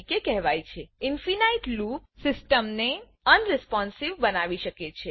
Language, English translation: Gujarati, Infinite loop can cause the system to become unresponsive